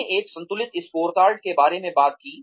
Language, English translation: Hindi, We talked about a balanced scorecard